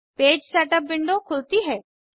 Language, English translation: Hindi, The Page Setup window opens